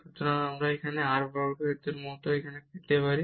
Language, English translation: Bengali, And we will get r cube from there also r cube from there